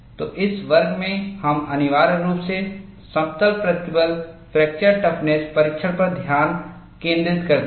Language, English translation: Hindi, So, in this class, we essentially focused on plane stress fracture toughness testing